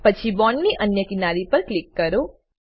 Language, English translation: Gujarati, Then click other edge of the bond